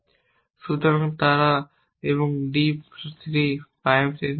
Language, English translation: Bengali, So, they were not there in d 3 prime anymore